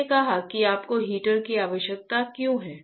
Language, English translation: Hindi, I said that why you require heater